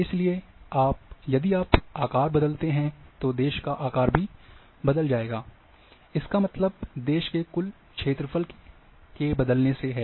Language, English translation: Hindi, So, if you change the shape, the size of the country will also change; that means the total area of the country